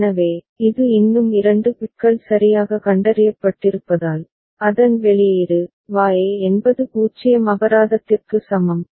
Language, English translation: Tamil, So, since it is still two bits that are detected properly so, its output is, Y is equal to 0 fine